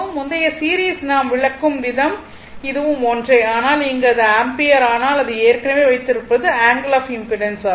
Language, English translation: Tamil, The way we explain the previous one series one it is same, but in this case it is ampere your what we call it is that we has already it is angle of impedance right